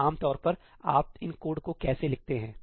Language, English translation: Hindi, So, typically, how do you write these codes